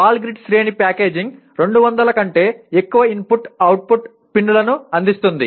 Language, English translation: Telugu, Ball grid array packaging can provide for more than 200 input output pins